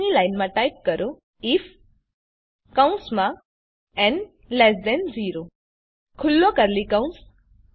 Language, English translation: Gujarati, Next line Type if (n 0) open curly bracket